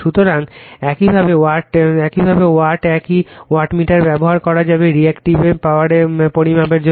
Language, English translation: Bengali, So, this way watt same wattmeter , you can used for Measuring the Reactive Power right